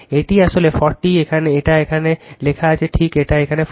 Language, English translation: Bengali, This is actually 40 it is written here correct this is 40 here right